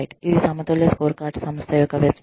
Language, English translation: Telugu, This is the example of a balanced scorecard